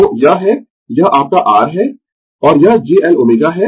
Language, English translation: Hindi, So, this is this is your R, and this is j L omega